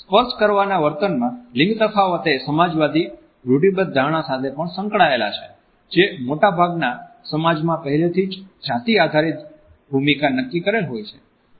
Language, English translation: Gujarati, Gender differences in touching behavior are also closely linked to the socialist stereotypes which exist in most of the societies about prefix gender roles